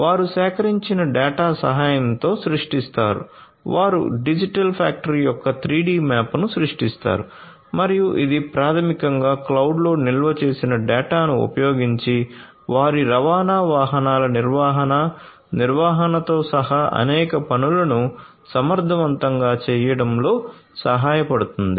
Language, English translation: Telugu, They create with the help of the data collected, they create the 3D map of the digital factory and that basically helps in doing number of things efficiently including predictive maintenance of their transport vehicles using the data that is stored in the cloud